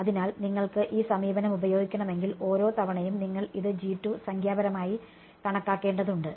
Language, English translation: Malayalam, So, you if you want to use this approach, you will have to numerically calculate this G 2 every time